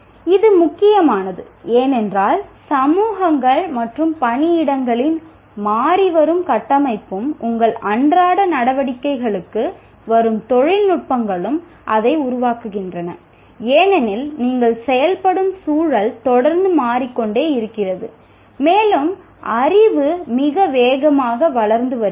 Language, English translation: Tamil, That is because this becomes important because the changing structure of communities and workplaces and the technologies that are coming for your day to day operations, that makes it because the context in which you are operating is continuously changing and the knowledge is growing very fast